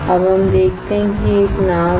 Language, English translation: Hindi, Now, we see that there is a boat